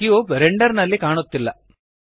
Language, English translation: Kannada, The cube is not visible in the render